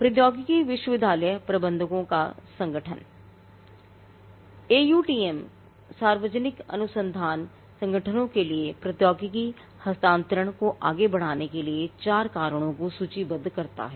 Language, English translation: Hindi, Now, the Association of University Technology Managers – AUTM, lists out four reasons for public research organizations to advance technology transfer